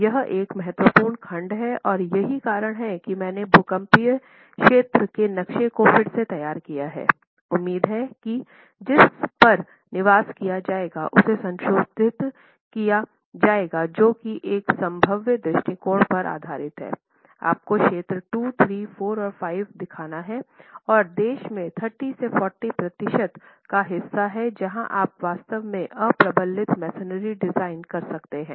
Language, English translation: Hindi, So this is an important clause that you must keep in mind and the reason why I have reproduced the seismic zone map as it stands today, which hopefully will be revised to one that is based on a probabilistic approach, is to show you zones 2, 3, 4 and 5 and tell you the about 30% to 40% of the countries where you can actually design unreinforced masonry